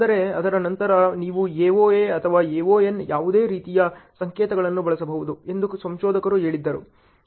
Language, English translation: Kannada, But after then researcher said you can use any form of the notations either AoA or AoN